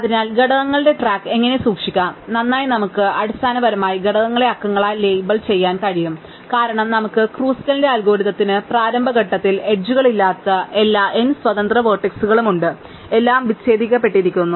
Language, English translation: Malayalam, So, how do we keep track of components, well, we can basically label the components by numbers and it since we have n vertices and initially there all n independent vertices with no edges in the initial starting point of Kruskal's algorithms, everything is disconnected